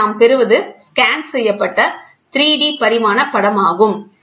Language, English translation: Tamil, So, here what we get is, a scanned image 3 dimensionally